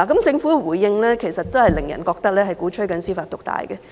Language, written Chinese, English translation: Cantonese, 政府的回應其實令人覺得它鼓吹司法獨大。, The Governments response actually gave us the impression that it advocated judicial supremacy